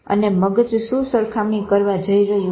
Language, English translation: Gujarati, And what is the mind going to compare